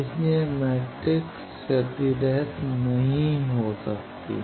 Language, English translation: Hindi, So, that matrix cannot be lossless